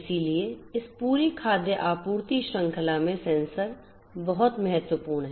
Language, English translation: Hindi, So, sensors are very crucial over here in this entire food supply chain